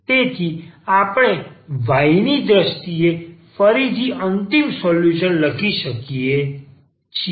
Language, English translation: Gujarati, So, we can write down final solution again in terms of y